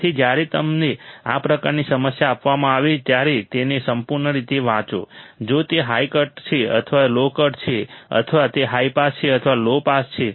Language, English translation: Gujarati, So, when you are given this kind of problem just read it thoroughly, if it is this high cut or is it low cut or is it high pass or is it low pass